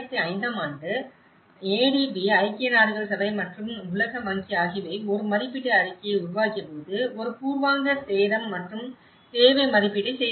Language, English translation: Tamil, In 2005, when the ADB and United Nations and World Bank have made an assessment report, a preliminary damage and needs assessment